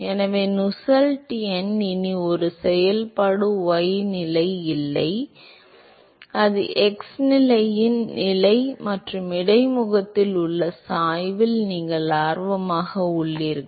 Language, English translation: Tamil, So, the Nusselt number is not a function y position anymore, it is only a position of x position plus you are interested in the in the gradient at the interface which is ystar equal to 0